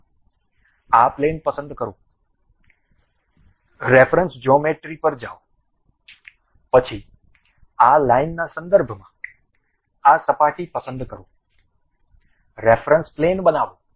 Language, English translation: Gujarati, First select this plane, go to reference geometry; then with respect to this line, pick this surface, construct a reference plane